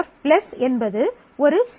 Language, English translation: Tamil, F+ is a set